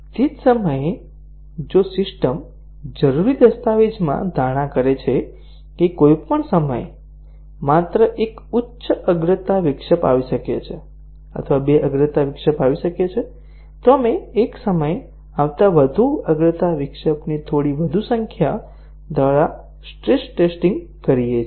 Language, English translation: Gujarati, At the same time, if the system makes an assumption in the requirement document that any time only one high priority interrupt can come or two priority interrupt can come, we do the stress testing by having slightly more number of higher priority interrupt coming at a time